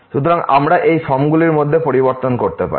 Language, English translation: Bengali, So, the point is that we can change between these form